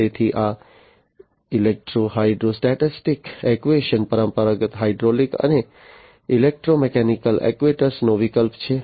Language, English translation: Gujarati, So, this electro hydrostatic actuator are a substitute to the traditional hydraulic and electromechanical actuators